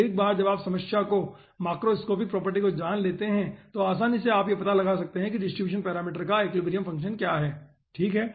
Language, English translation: Hindi, so once you know the macroscopic property of the problem, easily you can find out what is the equilibrium function of the distribution parameter